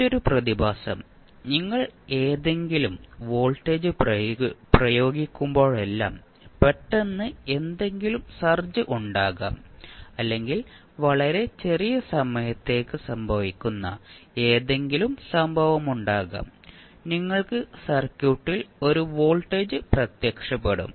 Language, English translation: Malayalam, Another phenomena is that whenever you apply any voltage there might be some sudden search coming up or maybe any event which is happening very for very small time period, you will have 1 search kind of voltage appearing in the circuit